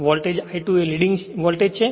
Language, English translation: Gujarati, The voltage I 2 is leading voltage V 2